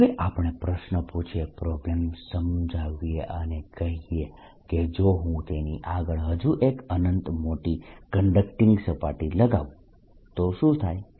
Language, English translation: Gujarati, now we ask the question, explain the problem and say: what if i put another conducting surface infinitely large in front of it